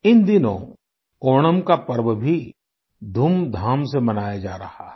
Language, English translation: Hindi, Friends, these days, the festival of Onam is also being celebrated with gaiety and fervour